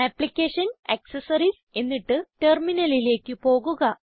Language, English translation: Malayalam, So lets move back to Applications , Accessories and then Terminal